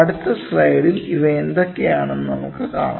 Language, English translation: Malayalam, So, in the next slide we will see what are these things